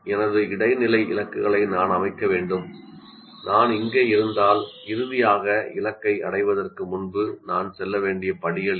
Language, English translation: Tamil, So I need to set up my intermediate goals if I am here what are this series of steps that I need to go through before I can finally reach the target